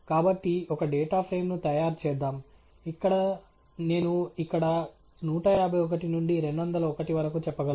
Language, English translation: Telugu, So, lets create a data frame, where… I can simply say here uk 151 to 201